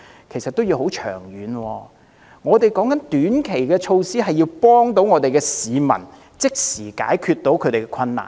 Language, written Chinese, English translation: Cantonese, 其實，我們所指的短期措施，是要協助市民即時解決困難。, The short - term measures we are referring to are in fact those which can immediately relieve people from their hardship